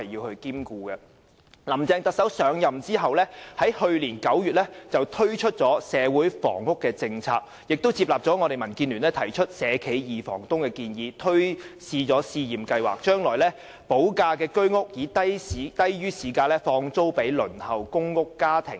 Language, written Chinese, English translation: Cantonese, 特首林鄭月娥上任後，在去年9月推出社會房屋政策，並接納民建聯提出"社企二房東"的建議，推行試驗計劃，把未補地價的居屋以低於市價轉租予正在輪候公屋的家庭。, After taking office Chief Executive Carrie LAM introduced the policy on social housing in September last year . She adopted DABs proposal and introduced a pilot scheme of subletting HOS flats with premium unpaid to families on the Waiting List for PRH units at prices below market rental